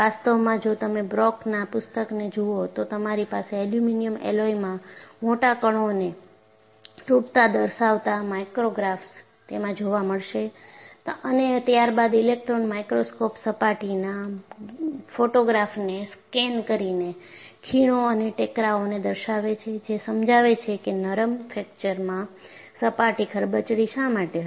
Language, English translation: Gujarati, In fact, if you go and look at the book by broek, you would have micrographs showing breaking of large particles in an aluminum alloy, and followed by scanning electron microscope photograph of the surface, showing valleys and mounts, which explains why the surface has been rough in a ductile fracture